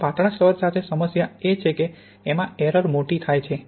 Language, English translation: Gujarati, Now the problem with having a thin layer is then you have a higher error